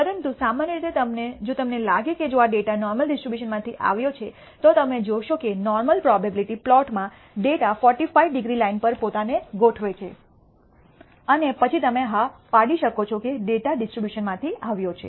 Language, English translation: Gujarati, But typically if you find if you think that this data comes from the normal distribution, then you will find that in the normal probability plot the data will align itself on the 45 degree line and then you can conclude yes that the data has come from the distribution